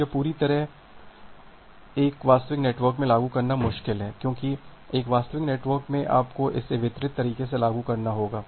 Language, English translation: Hindi, So, this entire thing is difficult to implement in a real network, because in a real network, you have to implement it in a distributed way